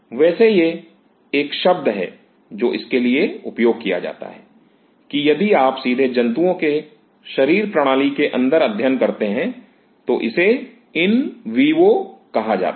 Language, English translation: Hindi, So, there is a term which is used for this if you directly studying within the animal is called in vivo